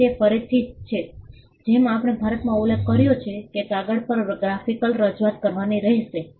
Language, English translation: Gujarati, So, that is again as we just mentioned in India, there has to be a graphical representation on paper